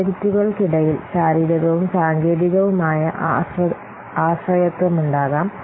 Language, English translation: Malayalam, There may be, see, there may be physical and technical dependencies between projects